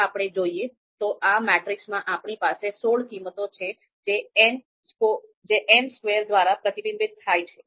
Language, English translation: Gujarati, So if we look at this, then we have then we had sixteen values in this matrix so which is reflected by n square